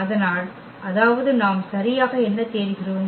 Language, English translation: Tamil, So; that means, what we are looking exactly